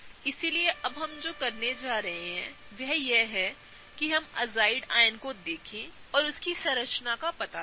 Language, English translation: Hindi, So, what we are going to do now is we are going to look at the azide ion and figure out the structure of that